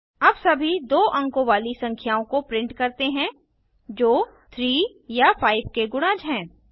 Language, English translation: Hindi, Now let us print all the 2 digit numbers that are multiples of 3 or 5